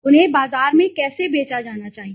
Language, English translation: Hindi, How they should be sold to the market okay